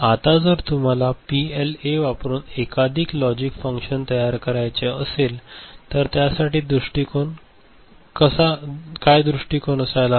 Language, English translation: Marathi, Now, if you want to realize a multiple logic function using PLA what will be the approach ok